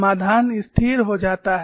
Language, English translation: Hindi, The solution stabilizes